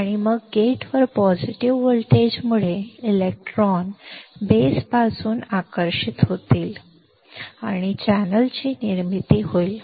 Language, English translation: Marathi, And then because of the positive voltage at the gate, the electrons will get attracted from the base and there will be formation of channel